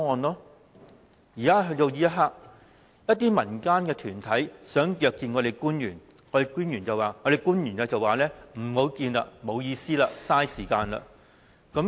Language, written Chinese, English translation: Cantonese, 到了目前，一些民間團體想約見官員，官員說不會見面，沒有意思，浪費時間。, In recent months the government officials have even rejected to meet with community organizations saying that this kind of meeting was meaningless and a waste of time